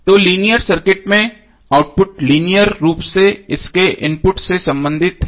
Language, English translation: Hindi, So in the linear circuit the output is linearly related to it input